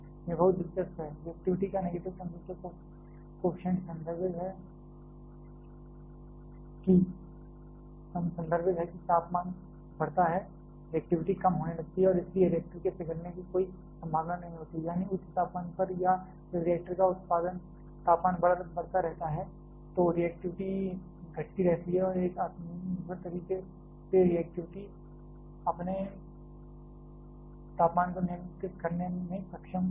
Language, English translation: Hindi, This is very interesting, negative temperature coefficient of reactivity refers to as the temperature increases reactivity starts to decrease and therefore, there is no chance of reactor melt down, that is at high temperature or when the reactor temperature keeps on increasing the reactivity keeps on decreasing and in a self sustained way the reactor is able to control it is own temperature